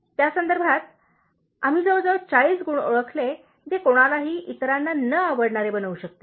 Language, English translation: Marathi, In that context, we identified about 40 qualities that would make anybody, dislike anybody else